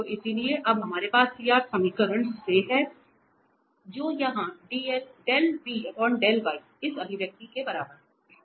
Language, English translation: Hindi, So, hence now we have out of the CR equation that del v over del y is equal to this here this expression